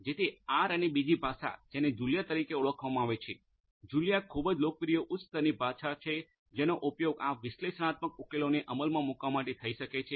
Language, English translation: Gujarati, So R and another language which is known as Julia, Julia is also a very popular high level language which could be used for implementing these analytics solutions